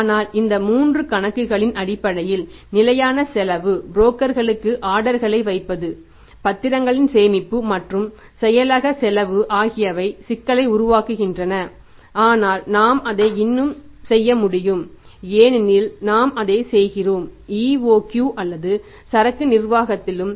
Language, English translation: Tamil, So, variable cost is easy for possible to be found out but the fixed cost basically on these three accounts placing the orders to brokers physical storage of securities and the secretarial cost it creates a problem but we can still do it because we do it in case of the EOQ or in the inventory management also so we can do it here also